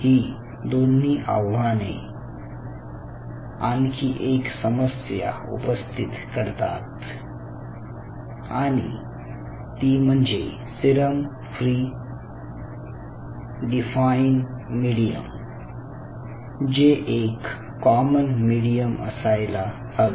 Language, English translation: Marathi, so these two problem comes with another additional issue: that you wanted to have a defined medium which is a serum free and it should be a common medium